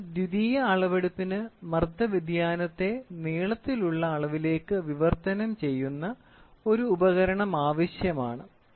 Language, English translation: Malayalam, Therefore, a secondary measurement requires an instrument which translates pressure change into length change